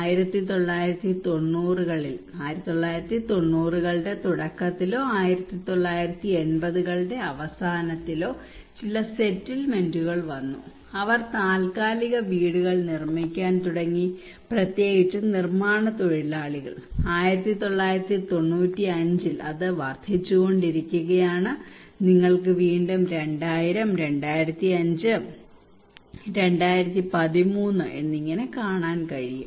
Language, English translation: Malayalam, In 1990 in the early 1990s or late 1980s some settlements have come especially the construction workers they started to build temporary houses, in 1995 that is also increasing you can see again 2000, 2005, and 2013